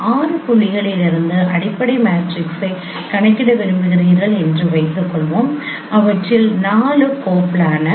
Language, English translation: Tamil, Suppose you would like to compute fundamental matrix from six points out of which four are coplanar